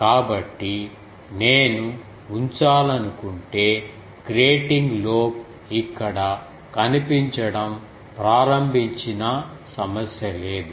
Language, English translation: Telugu, So, if I want to put that even if the grating lobe starts appearing here there is no problem